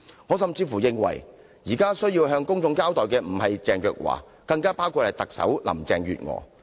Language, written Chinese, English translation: Cantonese, 我甚至認為現在有需要向公眾交代的不止是鄭若驊，還有特首林鄭月娥。, I am even of the view that not only should Teresa CHENG give a public account but also Chief Executive Carrie LAM